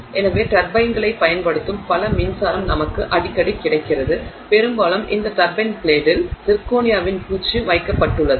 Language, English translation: Tamil, So, a lot of electricity that we get which uses turbines often has this coating of zirconia being put on this turbine blade